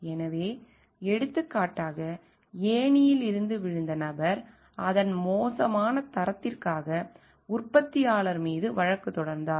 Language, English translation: Tamil, So, for example, person who fell from the ladder sued the manufacturer for it is bad quality, it may happen